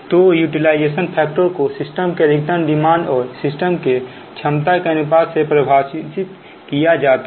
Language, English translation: Hindi, utilization factor, so it is the ratio of the maximum of a system to the rated capacity of the system, right